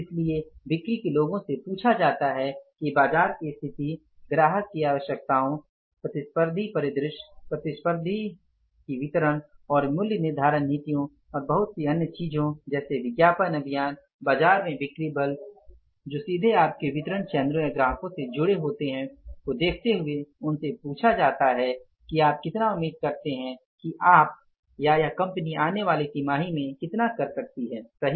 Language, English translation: Hindi, So, the sales people are asked that looking at the situation in the market, the customer's requirements, the competitive scenario, the competitors distribution policies, their pricing and so many other things, their advertising campaigns, the sales force in the market who is directly connected to your distribution channels or the customers, they are asked that how much sales you expect that you can do or this firm our company can do in the coming quarter of three months